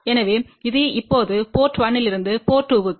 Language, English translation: Tamil, So, this is now, from port 1 to port 2